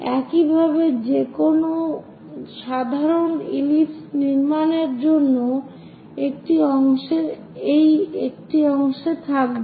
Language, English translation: Bengali, This is the way any general ellipse one will be in a portion to construct it